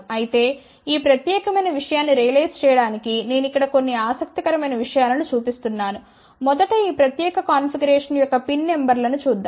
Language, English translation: Telugu, However, I tell a few interesting things to realize this particular thing here first let us just look at the pin numbers of this particular configuration